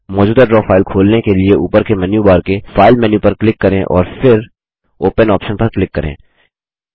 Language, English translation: Hindi, To open an existing Draw file, click on the File menu in the menu bar at the top and then click on the Open option